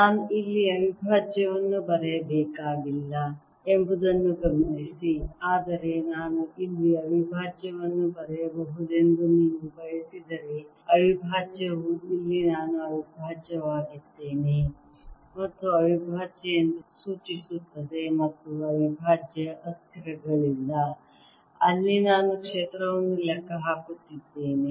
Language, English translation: Kannada, notice that i did not have to write prime out here, but if you like i can write prime here, prime here denoting that prime is actually where i am integrating and prime here and no unprimed variables are those where i am calculating